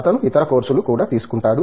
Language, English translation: Telugu, He does take this other course as well